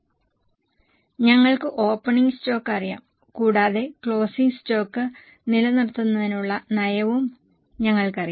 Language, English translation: Malayalam, So, we know the opening stock and we also know the policy for maintaining the closing stock